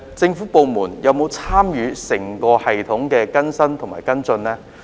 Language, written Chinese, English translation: Cantonese, 政府部門有否參與整個系統的更新和跟進呢？, Have the government departments participated in the updating and follow - up of the entire system?